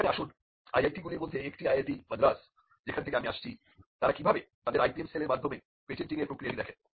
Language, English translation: Bengali, Now, let us look at an example of how one of the IITs from where I am from IIT, Madras looks at the patenting process through the through their IPM cell